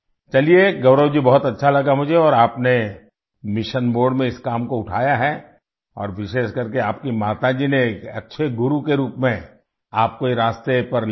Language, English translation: Hindi, Well Gaurav ji, it is very nice that you and I have taken up this work in mission mode and especially your mother took you on this path as a good guru